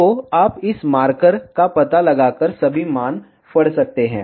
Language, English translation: Hindi, So, you can read all the values by just locating this marker